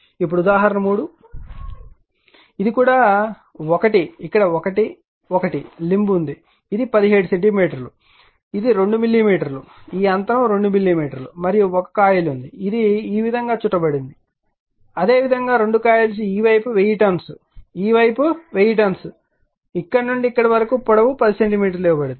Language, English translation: Telugu, Now example 3, this is also one, where here is 1, 1 limb is there this is 17 centimeters right, this is 2 millimeter, this gap is 2 millimeter and 1 coin is there it is own, like this there both the coils this side 1000 turns this side is 1000 turns, here it is from here to here the length is given 10 centimeter